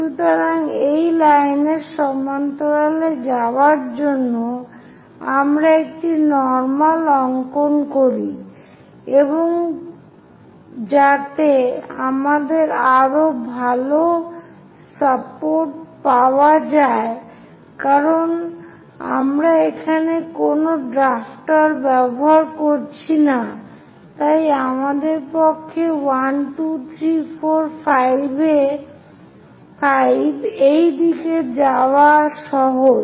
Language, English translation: Bengali, So, to go parallel to that line, let us draw a normal and so that we will have better support because we are not using any drafter here, so it is easy for us to go in this direction 2, 3, 4, 5